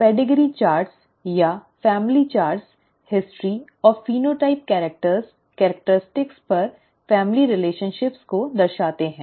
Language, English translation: Hindi, Pedigree charts or family charts show the family relationships over history and phenotypes characters, characteristics